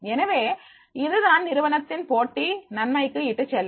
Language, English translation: Tamil, So, this is leading to the competitive advantage to the organization